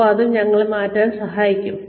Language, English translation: Malayalam, And, that will help us tweak